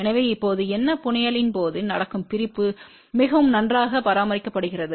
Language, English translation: Tamil, So, now, what will happen during the fabrication itself the separation has been maintain very good